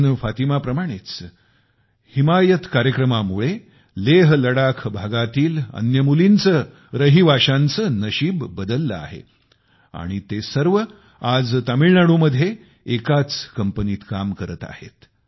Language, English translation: Marathi, Like Parveen Fatima, the 'HimayatProgramme' has changed the fate of other daughters and residents of LehLadakh region and all of them are working in the same firm in Tamil Nadu today